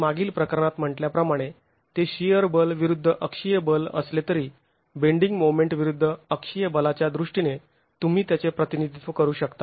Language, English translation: Marathi, As I said in the previous case, though it is shear force versus axial force, you can represent it in terms of bending moment versus axial force